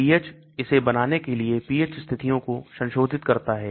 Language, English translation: Hindi, pH modify the pH conditions to make it soluble